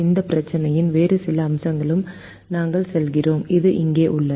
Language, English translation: Tamil, we then move on to some other aspect of this problem which is here